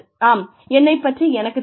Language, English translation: Tamil, Yes, I know that, about myself